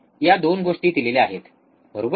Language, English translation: Marathi, These 2 things are given, right